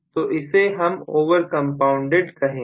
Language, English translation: Hindi, So, this we will call as over compounded